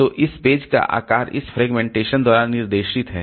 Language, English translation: Hindi, So, this page size is guided by this fragmentation